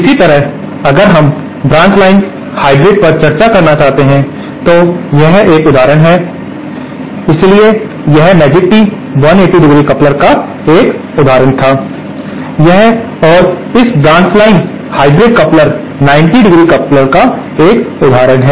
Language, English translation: Hindi, Similarly if we would like to discuss the branch line hybrid, so that is an example of a, so this magic tee was an example of a, it was an example of a 180 ¡ coupler and this branch line hybrid coupler is an example of a 90¡ coupler